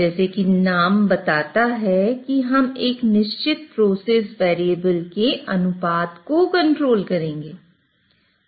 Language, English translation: Hindi, So as the name suggests here we would be controlling a ratio of certain process variables